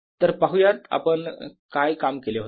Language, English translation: Marathi, so let us see what we had worked on